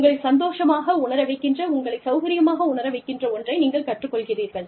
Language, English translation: Tamil, You learn something, that makes you feel happy, that makes you feel comfortable